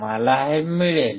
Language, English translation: Marathi, I will get this